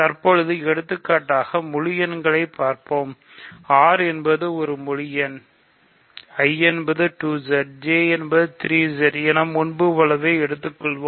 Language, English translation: Tamil, So, as an example, let us look at integers, R is integers, I as before 2Z, J as before 3Z